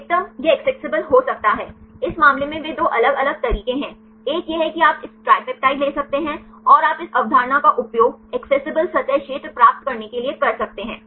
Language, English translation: Hindi, The maximum it can be accessible, in this case they are two different ways one is you can take this tripeptide, and you can use this concept to get the accessible surface area